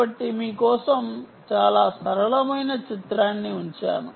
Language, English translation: Telugu, so let me just put down a very simple picture for you